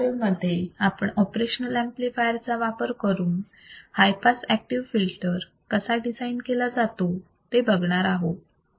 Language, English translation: Marathi, In the next module, let us see how we can design the high pass active filters using the operation amplifier